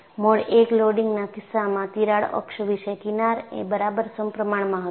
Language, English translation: Gujarati, In the case of mode 1 loading, about the crack axis, the fringes were exactly symmetrical